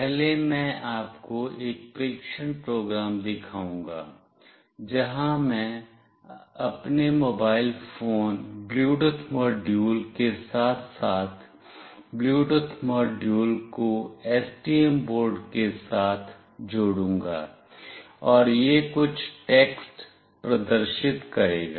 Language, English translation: Hindi, First I will show you a test program, where I will be connecting the Bluetooth module with STM board along with my mobile phone Bluetooth module, and it will display some text